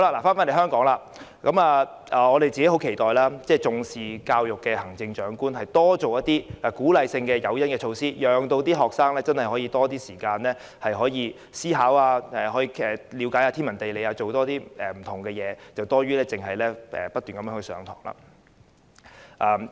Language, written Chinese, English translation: Cantonese, 說回香港，我們十分期待重視教育的行政長官多推出一些鼓勵性的誘因和措施，讓學生可以有較多時間思考、無論是了解天文地理，或是多做不同事情，這總比不斷上課為好。, Let us get back to the situation of Hong Kong . We eagerly look forward to the education - minded Chief Executives introduction of some encouraging incentives and measures to afford students more time to think . No matter learning astronomy and geography or experiencing more different things they are better than endlessly attending classes